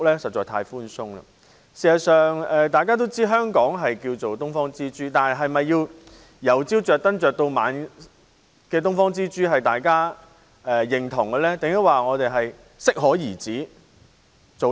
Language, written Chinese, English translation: Cantonese, 事實上，大家也知道，香港被稱為"東方之珠"，但大家是否認同這顆"東方之珠"要由早亮燈到晚上，還是應該適可而止呢？, In fact we all know that Hong Kong is known as the Pearl of the Orient but do we agree that this Pearl of the Orient should be lit up from dawn till dusk or should it be lit up just to the necessary extent?